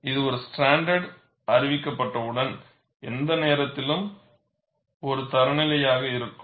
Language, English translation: Tamil, It is not, once a standard is announced, it becomes a, remains a standard for any length of time